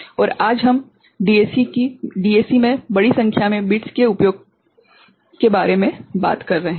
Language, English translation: Hindi, And today we are talking about larger number of bits used in DAC